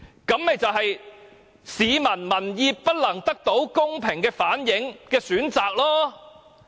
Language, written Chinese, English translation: Cantonese, 這便是市民民意不能得到公平的反映的選擇。, This is a choice which cannot reflect public opinions in a fair and just manner